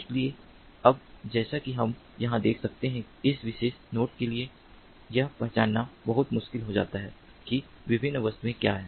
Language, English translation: Hindi, so now you, as we can see over here, it becomes very difficult for this particular node to recognize that